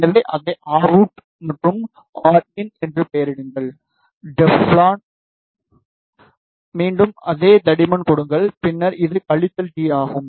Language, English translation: Tamil, So, name it as r out and r in and for Teflon again give the same thickness and then this is minus t